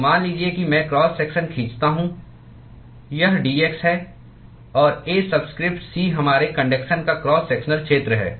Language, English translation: Hindi, So, supposing I draw the cross section, this is dx; and A subscript c is the cross sectional area of our conduction